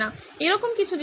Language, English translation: Bengali, There are some things like that